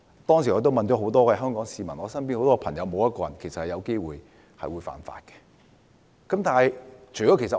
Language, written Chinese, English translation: Cantonese, 當時我詢問了很多市民和身邊的朋友，其實沒有一個人有機會干犯這項法例。, I asked many people and friends; actually none of them might commit an offence under the Ordinance